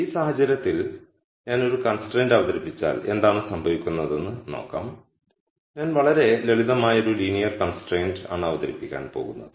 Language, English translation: Malayalam, Now let us see what happens if I introduce a constraint in this case I am going to introduce a very simple linear constraint